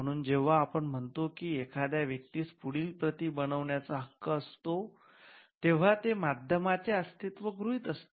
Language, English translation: Marathi, So, when we say that a person has a right to make further copies it presupposes the existence of a medium